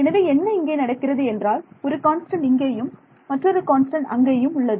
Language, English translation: Tamil, So, what happens is that you get one constant here and another constant here